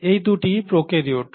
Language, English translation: Bengali, Both of them are prokaryotes